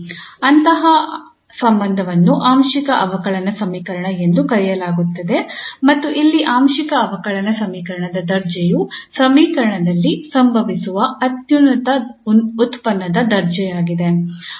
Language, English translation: Kannada, So such a relation is called partial differential equation and the order here of partial differential equation is the order of the highest derivative occurring in the equation